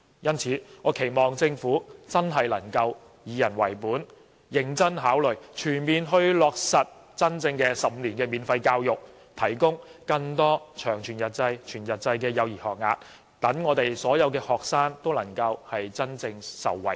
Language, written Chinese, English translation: Cantonese, 因此，我期望政府真的能夠以人為本，認真考慮全面落實真正的15年免費教育，提供更多全日制及長全日制的幼稚園學額，讓所有學生都能夠真正受惠。, Hence I hope the Government will really be people - oriented and seriously consider the full implementation of 15 - year free education to provide more whole - day and long whole - day kindergarten places so that all students can really be benefited